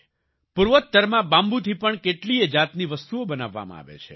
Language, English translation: Gujarati, Many types of products are made from bamboo in the Northeast